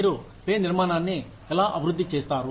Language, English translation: Telugu, How do you develop a pay structure